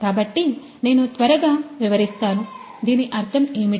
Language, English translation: Telugu, So, I quickly explain, what I mean what is the process about